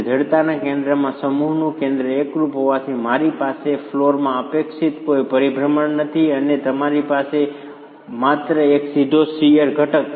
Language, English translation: Gujarati, Since the center of mass and the center of stiffness coincide, I do not have any rotation expected in the flow and you have only a direct shear component